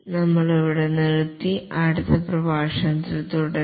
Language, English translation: Malayalam, We will stop here and continue in the next lecture